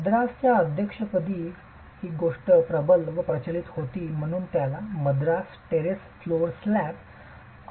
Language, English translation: Marathi, This is something that was predominant, prevalent in the Madras Presidency and that's why it gets the name the Madras Terrace Flow Slab